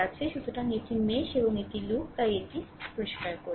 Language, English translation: Bengali, So, this is mesh and this is loop right so, just let me clear it